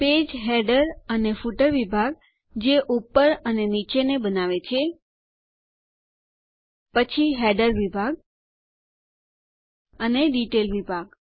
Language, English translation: Gujarati, Page Header and Footer section that form the top and the bottom